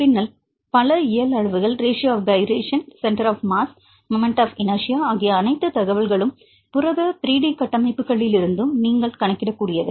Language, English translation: Tamil, So, this is a physical quantity and then also several physical quantities for example, radius of gyration, center of mass, moment of inertia all the information you can calculate from protein 3 D structures right